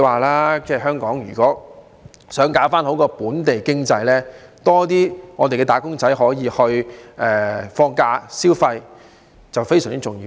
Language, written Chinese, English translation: Cantonese, 如果香港想搞好本地經濟，更多"打工仔"可以放假、消費是非常重要的。, If Hong Kong wishes to boost the local economy it is very important to allow more employees to have holidays and spend money